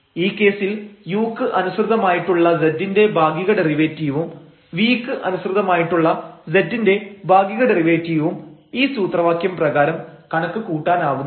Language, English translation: Malayalam, And in that case also we can compute the partial derivatives now of z with respect to u and the partial derivative of z with respect to v by these formulas